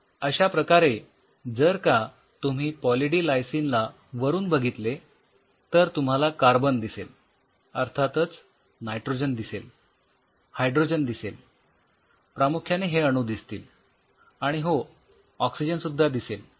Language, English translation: Marathi, If you look at Poly D Lysine from top you can see you will have carbon you will have nitrogen of course, you have hydrogen these are mostly what will be and of course, you will have oxygen right